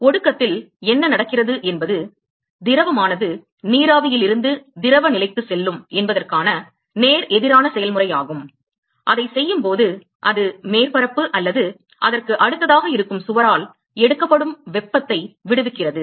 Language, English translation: Tamil, What happens in condensation is exactly the opposite process where the fluid is going from vapor to the liquid phase and while doing that it is also liberating heat which is taken up by the surface or a wall which is present next to it ok